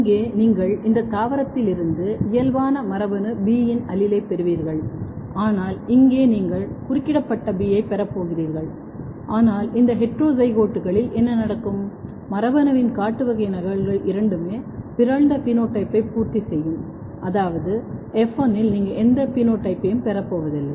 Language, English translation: Tamil, Here you will have gene B allele normal from this plant, but here you are going to have B interrupted, but in this in both in this heterozygotes what will happen that the wild type copy both the wild type copies of the gene will complement the mutant phenotype which means that in F1 you are not going to get any phenotype